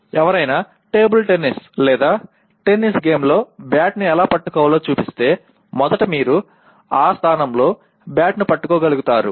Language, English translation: Telugu, If somebody shows let us say how to hold a bat in a table tennis or a tennis game so first you should be able to hold the bat in that position